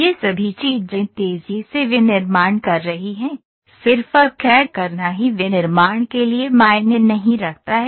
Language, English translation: Hindi, All these things are rapid manufacturing, just doing CAD alone does not matter for a, for manufacturing